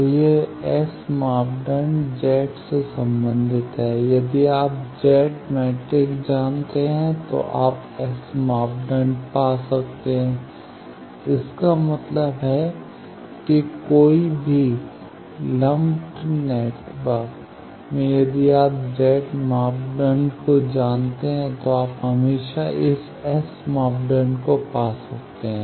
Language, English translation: Hindi, So, this S parameter is related to Z by these, if you know Z matrix you can find S parameter so that means, any lumped network if you know Z parameter you can always find this S parameter